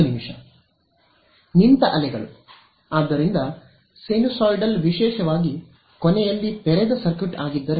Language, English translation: Kannada, Standing waves right; so, sinusoidal particularly if it is open circuited at the end